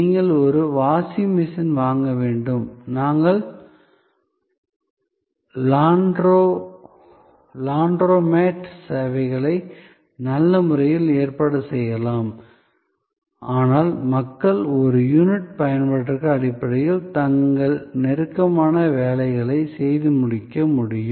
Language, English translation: Tamil, So, you need buy a washing machine, we can have a good organize Laundromat services, but people can get their close done washed on per unit of usage basis